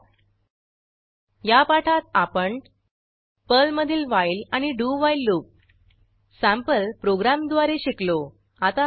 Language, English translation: Marathi, In this tutorial, we have learnt while loop and do while loop in Perl using sample programs